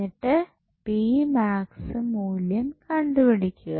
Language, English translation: Malayalam, So, you will find out the value of power p